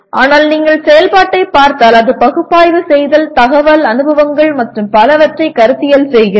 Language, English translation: Tamil, But if you look at the activity, it is analyzing, conceptualizing information, experiences and so on